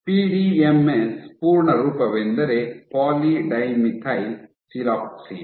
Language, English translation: Kannada, PDMS is full form is poly dimethyl siloxane